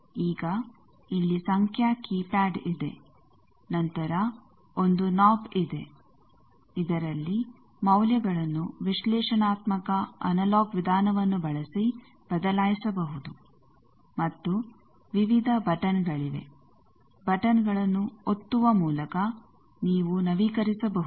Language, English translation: Kannada, Now, there is a numeric keypad here then there is 1 nob, which can change the analytical analog way of changing the values and there are various buttons, by pressing buttons you can update